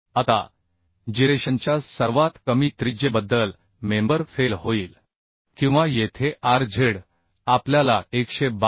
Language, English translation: Marathi, 56 Now the member will fail about the least radius of gyration or here rz we found as 122